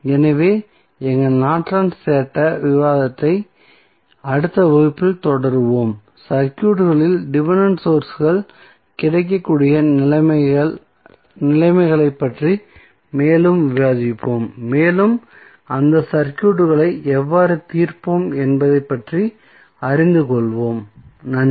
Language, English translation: Tamil, So, we will continue our Norton's theorem discussion in the next class where we will discuss more about the conditions when the dependent sources are available in the circuit and we will come to know how we will solve those circuits, thank you